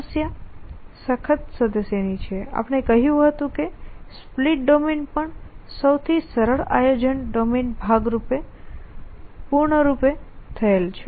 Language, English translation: Gujarati, The problem is hard member we said that even the split domain the simplest planning domain is piece space complete essentially